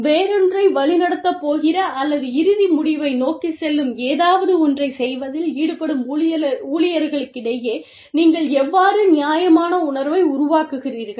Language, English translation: Tamil, How do you, create a sense of fairness, among the employees, who are involved in doing something, that is going to lead to something else, or working towards an end result